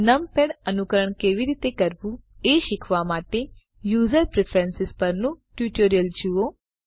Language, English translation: Gujarati, To learn how to emulate numpad, see the tutorial on User Preferences